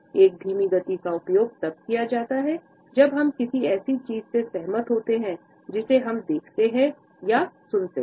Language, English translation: Hindi, A slow nod is used when we agree with something we see or listen to